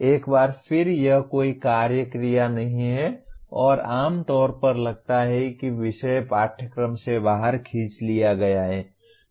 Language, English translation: Hindi, Once again, it is a no action verb and generally sounds like topic pulled out of the syllabus